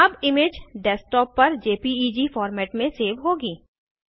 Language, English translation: Hindi, The image will now be saved in JPEG format on the Desktop